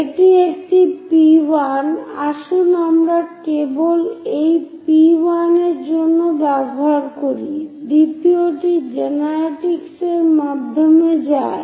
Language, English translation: Bengali, This one is P1 let us just use primes for this P1 prime, second one it goes via generatrix